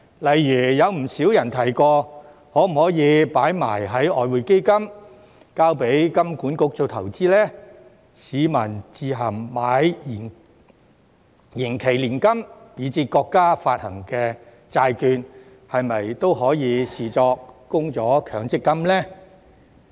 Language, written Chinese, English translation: Cantonese, 例如，有不少人提過可否把供款放入外匯基金，交給香港金融管理局做投資呢？市民自行購買延期年金，以至國家發行的債券，是否都可以視作供了強積金呢？, For example a lot of people have asked whether their contributions can be deposited into the Exchange Fund and let the Hong Kong Monetary Authority do the investment; and whether people who have purchased deferred annuities or even bonds issued by the country of their own accord can be regarded as having made their MPF contributions